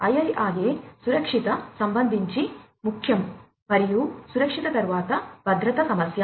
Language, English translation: Telugu, So, IIRA safety concern is important and after safety is the issue of security